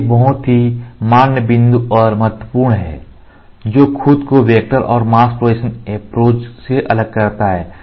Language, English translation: Hindi, This is a very very valid point and important which distinguishes itself from vector and mask projection technique